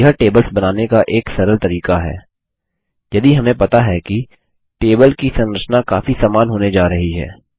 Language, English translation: Hindi, This is an easy way of creating tables, if we know that the table structures are going to be very similar